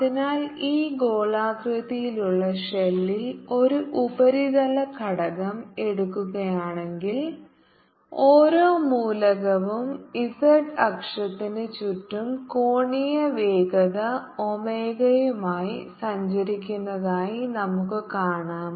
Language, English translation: Malayalam, so if we take a surface element on this spherical shell we can see that every element is moving around the z axis with the angular velocity omega